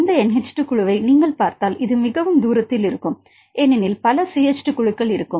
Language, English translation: Tamil, C alpha will be somewhere and if you see this NH2 group, this will be very far right because several CH 2 groups right